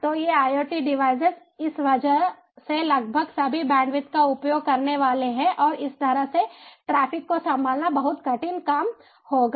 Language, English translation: Hindi, so these iot devices are going to consume almost all the bandwidth because of this and handling this kind of traffic will be simply a very hard task